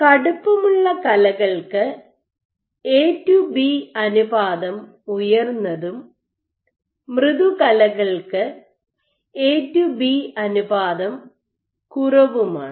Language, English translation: Malayalam, So, stiffer tissues have A to B ratio is high and softer tissues A to B ratio is low